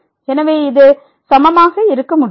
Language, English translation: Tamil, So, this cannot be equal